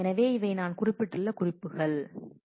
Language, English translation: Tamil, So, this these are the notes I just mentioned it ok